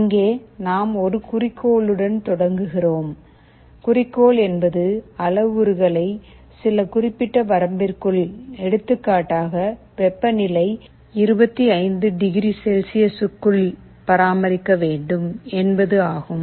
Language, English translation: Tamil, Here we start with a goal, goal means we want to maintain the parameter at some particular level; for temperature let us say, it is 25 degrees Celsius